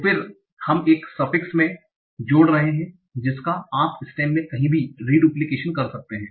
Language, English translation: Hindi, So when you are adding a suffix, you might do re duplication somewhere in the stem